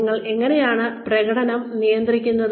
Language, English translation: Malayalam, How do we manage performance